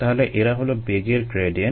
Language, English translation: Bengali, so those are velocity gradients